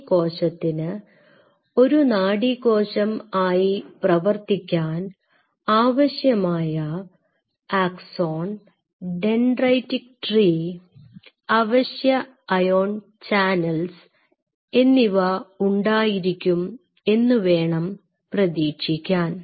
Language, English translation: Malayalam, So, I will expect that this cell will have a processes which will have an axon dendritic tree and it will express all the necessary ion channels to behave like a neuron